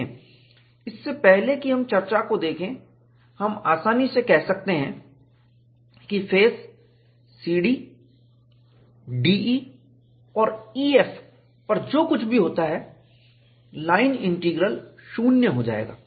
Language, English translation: Hindi, See, even before we look at the discussion, you can easily say that, whatever happens on the face C D, D E and E F the line integral go to 0